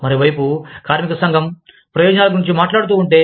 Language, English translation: Telugu, On the other hand, if the labor union, talks about benefits